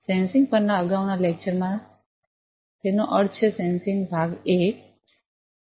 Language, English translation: Gujarati, In the previous lecture on Sensing; that means, sensing part 1